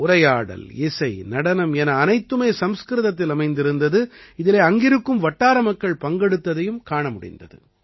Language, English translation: Tamil, Dialogues, music, dance, everything in Sanskrit, in which the participation of the local people was also seen